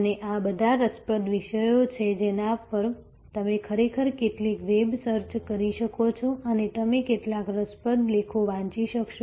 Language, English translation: Gujarati, And all these are interesting subjects on which, you can actually do some web search and you would be able to read some, quite a view interesting articles